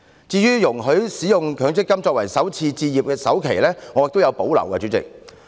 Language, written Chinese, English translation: Cantonese, 至於容許使用強積金權益作為首次置業的首期，代理主席，我亦有所保留。, Deputy President I also have reservations about the proposal of allowing employees to use MPF accrued benefits to pay the down payment of first - time home purchase